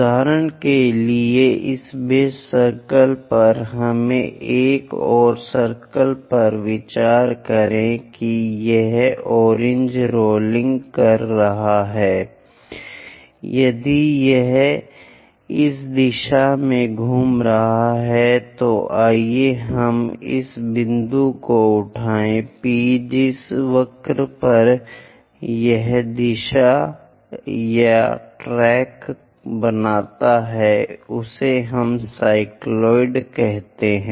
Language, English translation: Hindi, For example, on this base circle let us consider one more circle this orange one is rolling if this one is rolling in this direction let us pick this point the point P the curve in which direction it forms or tracks that is called we call cycloid